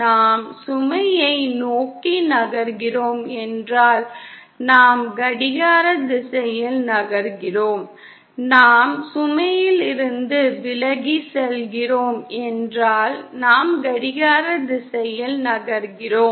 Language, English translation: Tamil, If we are moving in a clockwise direction if we are moving towards the load, if we are going away from the load, we are moving in a clockwise direction